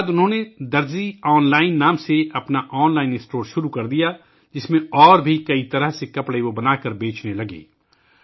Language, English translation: Urdu, After this he started his online store named 'Darzi Online' in which he started selling stitched clothes of many other kinds